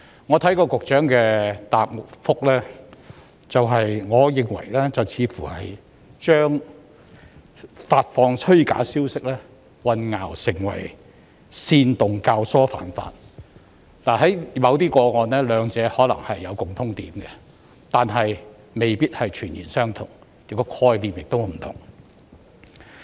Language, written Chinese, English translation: Cantonese, 我聽到局長的主體答覆後，我認為他似乎把發放虛假消息混淆成為煽動教唆犯法，在某些個案中，兩者可能有共通點，但未必全然相同，當中的概念也是不同的。, Having listened to the Secretarys main reply I think he seemed to have confused the dissemination of false information with inciting and abetting others to commit offences . In some cases the two may have something in common but they may not be exactly the same and they are also two different concepts